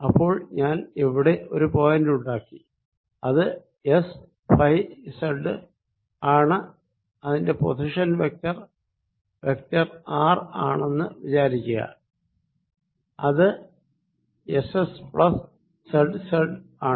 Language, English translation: Malayalam, so i am at a point here which is s phi and z, and its position is given by vector r, which is s s plus z z